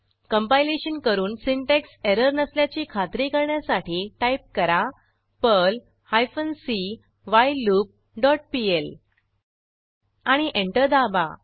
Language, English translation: Marathi, Type the following to check for any compilation or syntax error perl hyphen c whileLoop dot pl and press Enter